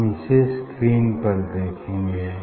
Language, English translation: Hindi, We will see on a screen